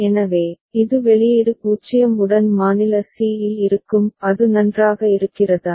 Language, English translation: Tamil, So, it will remain at state c with output 0 is it fine